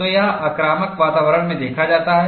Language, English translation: Hindi, So, this is observed in aggressive environment